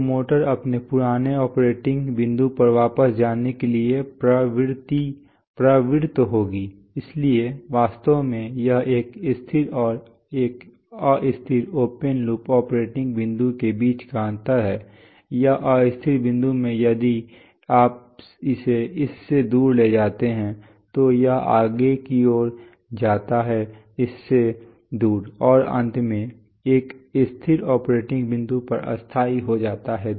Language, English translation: Hindi, So the motor will tend to go back to its old operating point, so actually this is the difference between a stable and an unstable open loop operating point that, in an unstable point if you move it away from it, it tends to move farther away from it, and finally settle to a stable operating point this is what the motor is doing